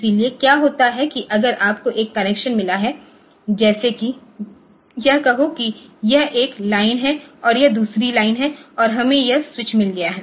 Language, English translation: Hindi, So, what happens is that if you have got say a connection like this say this is say one line and this is another line and we have got a switch here